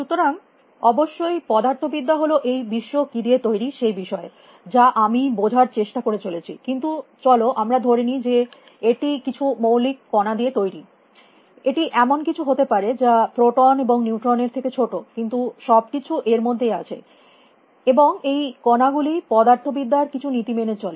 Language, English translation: Bengali, So, physics is, of course, I have been struggling to figure out what the world is made up of but let us take it for granted at it is some fundamental particle; it could be something smaller that proton and neutron, but everything is there, and these particles they obey some laws of physics